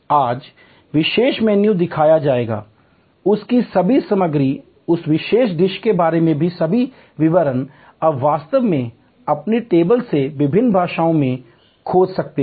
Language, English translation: Hindi, Today special menu will be shown, all the ingredients of that, all the details about that particular dish, you can actually search in various languages from your table